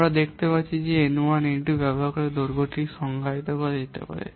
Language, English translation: Bengali, You can see the length can be defined by using this n1 and n2